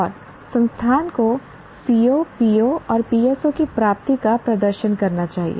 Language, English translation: Hindi, And the institution should demonstrate the attainment of COs, POs and PSOs